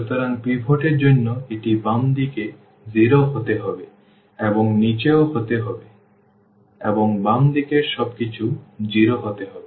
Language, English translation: Bengali, So, for the pivot it has to be 0 to the left and also to the bottom and everything to the left has to be 0